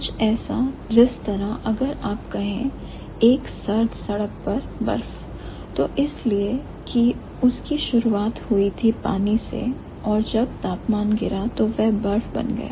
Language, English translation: Hindi, Something like if we say ice on a winter road, that is because it started out as water and when the temperature dipped it became ice